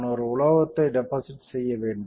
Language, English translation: Tamil, Next step is I will deposit a metal